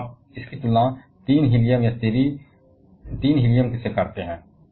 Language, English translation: Hindi, Now you compare that with 3 Helium or 3 He